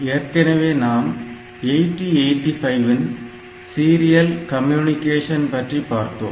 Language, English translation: Tamil, So, in case of 8085 we have seen the serial communication